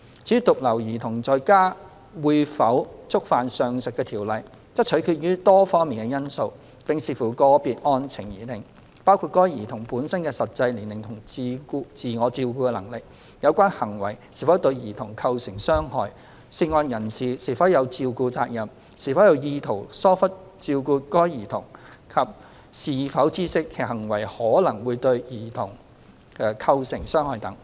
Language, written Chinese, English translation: Cantonese, 至於獨留兒童在家會否觸犯上述條例，則取決於多方面因素，並視乎個別案情而定，包括該兒童本身的實際年齡和自我照顧能力，有關行為是否對兒童構成傷害、涉案人士是否有照顧責任、是否有意圖疏忽照顧該兒童及是否知悉其行為可能會對該兒童構成傷害等。, Whether leaving a child unattended at home will constitute an offence under the above legislation depends on a number of factors and has to be assessed on a case - by - case basis including the childs age and self - care abilities whether the act has caused harm to the child whether the person involved has a responsibility of care over the child and whether the person has intentionally neglected the child and is aware of the possible harm to the child caused by his act